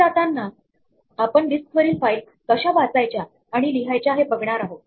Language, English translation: Marathi, As we go forward we will be looking at how to read and write from files on the disc